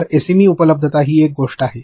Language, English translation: Marathi, So, SME availability is one thing